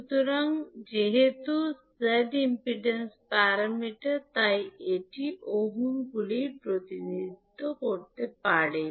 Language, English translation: Bengali, So, since the Z is impedance parameter, it will be represented in ohms